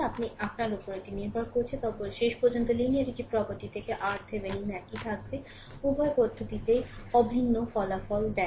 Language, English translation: Bengali, It is up to you, but ultimately, your R Thevenin will remain same right from your linearity property; Both the approaches give identical results